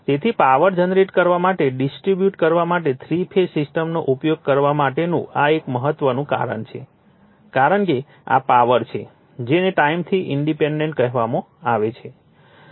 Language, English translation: Gujarati, So, this is one important reason for using three phase system to generate and distribute power because of your, this is power what you call independent of the time